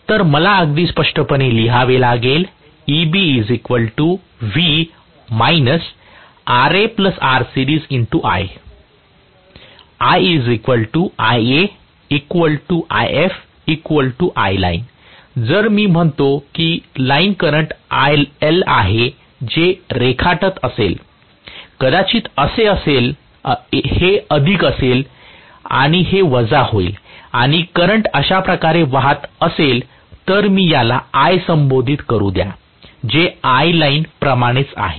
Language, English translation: Marathi, If I say line current is IL, whatever it is drawing, maybe this is plus and this is minus and the current is flowing like this, let me call this as I which is also equal to I Line, right